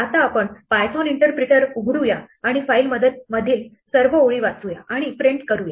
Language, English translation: Marathi, Now, let us open the python interpreter and try to read lines from this file and print it out